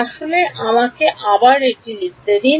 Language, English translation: Bengali, Actually let me let me write this once again